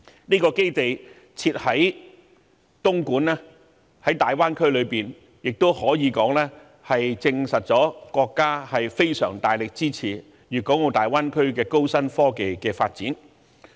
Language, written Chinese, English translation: Cantonese, 該基地設在大灣區內的東莞亦可以說證實了國家非常大力支持粵港澳大灣區的高新科技發展。, The State has chosen to locate the facility in Dongguan to show its strong support to the high technology development in the Greater Bay Area